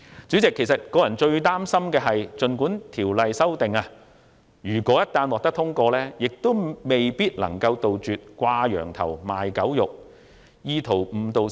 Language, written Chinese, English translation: Cantonese, 主席，我個人最擔心會出現的一個情況，就是即使《條例草案》獲得通過，亦未必能杜絕"掛羊頭賣狗肉"的情況。, President personally I am most worried that even after the passage of the Bill instances of crying up wine but selling vinegar may not be eradicated